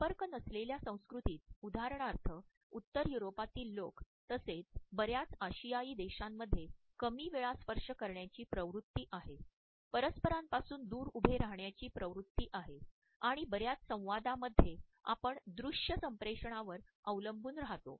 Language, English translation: Marathi, In comparison to that in the non contact culture for example, people in the Northern Europe as well as in many Asian countries there is a tendency to touch less often, there is a tendency to stand further apart and in most of our communication we try to rely on visual communication